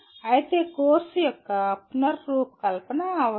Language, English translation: Telugu, But of course that requires the curriculum redesigned